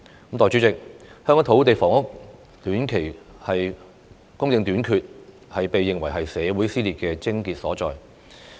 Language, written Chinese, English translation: Cantonese, 代理主席，香港土地房屋的短期供應短缺，被認為是社會撕裂的癥結所在。, Deputy President the shortage of land and housing supply in the short term is regarded as the crux of social dissension